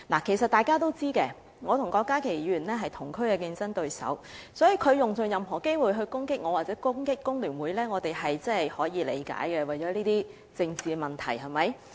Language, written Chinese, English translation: Cantonese, 其實大家也知道，我和郭家麒議員是同區的競爭對手，所以他用盡所有機會攻擊我或攻擊工聯會，我們是可以理解的，是為了一些政治問題，對嗎？, In fact Members all know that Dr KWOK Ka - ki and I are rivals in the same district so he makes use of all opportunities that come his way to attack me and FTU . This is understandable . It is for political reasons is it not?